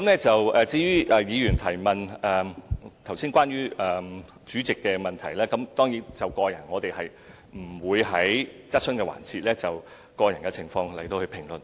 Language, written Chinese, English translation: Cantonese, 至於尹議員問及關於主席的國籍，我們當然不會在質詢環節評論個人情況。, Regarding Mr WANs enquiry on the Presidents nationality of course we will not comment on individual situation during the question and answer session